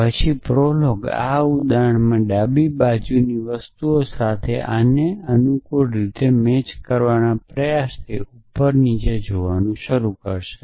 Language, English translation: Gujarati, Then prolog starts looking from top to down trying to match this with the things on the left hand side in this example very conveniently